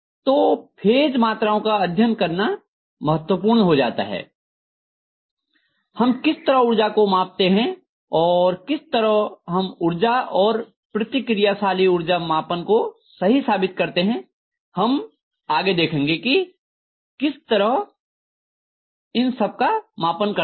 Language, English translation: Hindi, So it’s very important to learn about three phases quantities, how we measure power, and how we are going to actually justify measuring the power and reactive power, so how we are going to measure these things that is what we are going to see next